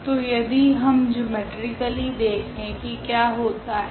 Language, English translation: Hindi, So, if we look at this geometrically what is happening